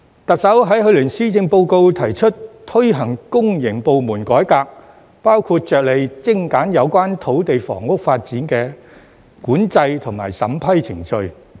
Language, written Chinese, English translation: Cantonese, 特首在去年施政報告提出推行公營部門改革，包括着力精簡有關土地房屋發展的管制及審批程序。, In last years Policy Address the Chief Executive proposed to implement public sector reform including streamlining the control and approval processes for land and housing development